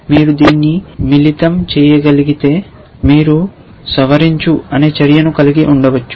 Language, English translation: Telugu, If you can combine this you can have a action called modify